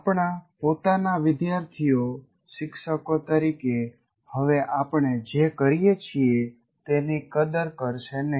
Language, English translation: Gujarati, Our own students are not likely to appreciate what we do now as teachers